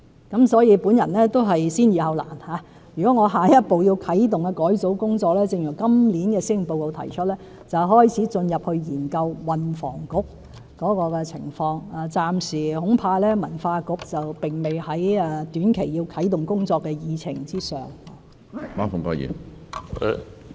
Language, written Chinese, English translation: Cantonese, 因此，我會先易後難，如果我下一步要啟動改組工作，正如今年施政報告所提出，便是開始研究運房局的情況，恐怕文化局暫時並不在短期啟動工作的議程上。, Therefore I would adopt the approach of resolving the simple issues before the difficult ones and if my next step is to kick - start a restructuring exercise it will begin with examining the case of the Transport and Housing Bureau as proposed in this years Policy Address . I am afraid the setting up of a Culture Bureau is not on the agenda for action in the near term